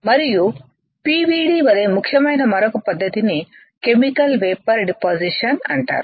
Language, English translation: Telugu, And another technique which is as important as PVD is called Chemical Vapor Deposition right